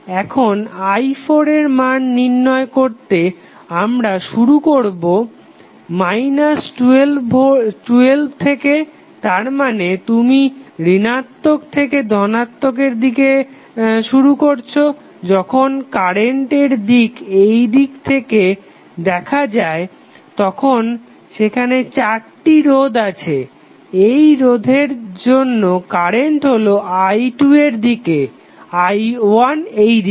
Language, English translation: Bengali, Now, again to find out the value of i 4 you will start with minus 12 that is you are starting from minus to plus when the direction of current is seen from this side then you have now four resistances in this resistance your current is i 2 in this direction, i 1 is in this direction